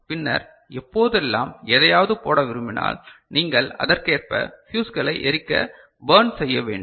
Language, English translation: Tamil, And then whenever you want to you know put something you just do accordingly to burn the fuses